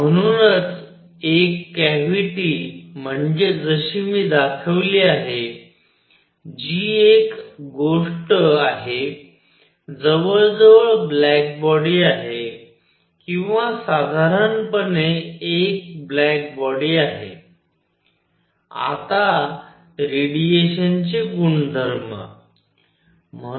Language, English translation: Marathi, So, a cavity like the one that I have shown is something which is very very close to black body or roughly a black body; now properties of radiation